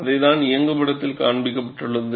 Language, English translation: Tamil, That is what is depicted in the animation